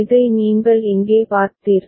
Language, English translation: Tamil, You have seen this over here